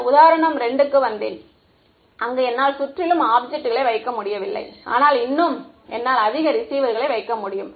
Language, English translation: Tamil, Then we came to example 2 where I could not surround the object, but still I could would more receivers